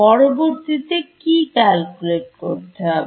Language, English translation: Bengali, Next step would be to calculate